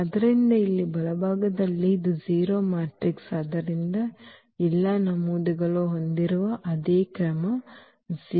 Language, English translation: Kannada, So, here the right hand side this is a 0 matrix so, the same order having all the entries 0